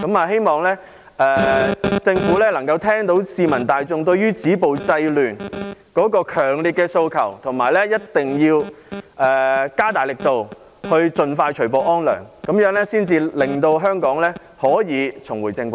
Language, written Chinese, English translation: Cantonese, 希望政府聽到市民大眾對止暴制亂的強烈訴求，而且加大力度，盡快除暴安良，令香港重回正軌。, I hope that the Government will hear the publics strong demand for stopping violence and curbing disorder and step up its efforts to bring peace to law - abiding people as soon as possible so that Hong Kong can be brought back on the right track